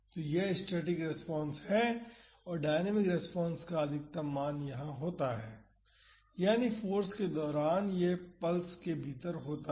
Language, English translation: Hindi, So, this is the static response the maximum value of the dynamic response occurs here, that is during the force, it is within the pulse